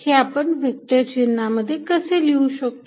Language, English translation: Marathi, How can we write all these in vector notation